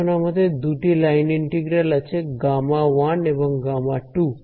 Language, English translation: Bengali, Now we have two line integrals gamma 1 and gamma 2